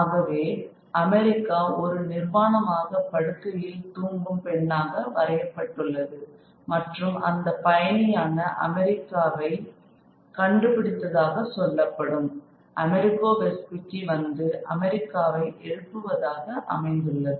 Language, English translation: Tamil, So, America is presented as a woman who is naked and lying and sleeping and it is America, it is America the traveler who is said to have discovered America who comes and wakes America up